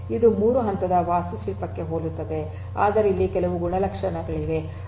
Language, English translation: Kannada, So, it is very similar to your 3 tier architecture, but here there are certain properties